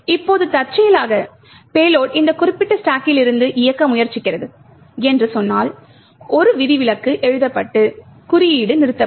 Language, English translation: Tamil, Now by chance if let us say the payload is trying to execute from that particular stack then an exception get raised and the code will terminate